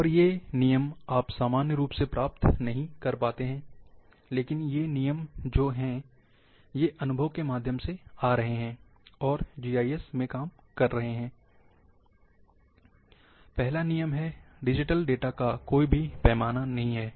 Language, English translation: Hindi, And these rules you may not find in literature normally, but these are the rules which are coming through experience, and working in the GIS The first rule is, there is no scale of digital data